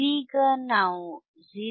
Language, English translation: Kannada, So that, 0